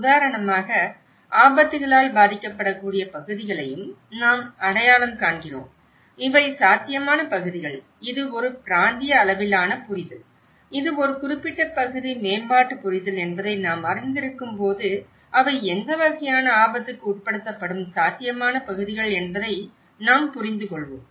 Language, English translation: Tamil, Like for instance, we also identify the areas that are risk from hazards, when we know that these are the potential areas, whether it is a regional level understanding, whether it is a particular area development understanding, so we will understand, which are the potential areas that will be subjected to what type of risk